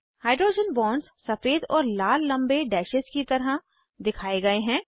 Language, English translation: Hindi, The hydrogen bonds are displayed as white and red long dashes